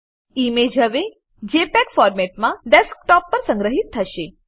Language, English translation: Gujarati, The image will now be saved in JPEG format on the Desktop